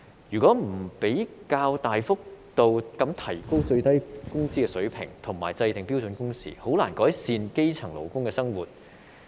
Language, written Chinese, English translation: Cantonese, 如果不較大幅度地提高最低工資水平，以及制訂標準工時，便難以改善基層勞工的生活。, It is difficult to improve the life of grass - roots workers if the authorities do not substantially increase the minimum wage level and set a standard on the working hours